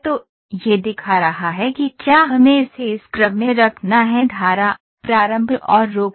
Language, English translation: Hindi, So, it is showing if we have to put it in a this way stream, start and stop